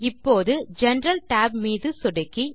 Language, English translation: Tamil, Now, click the General tab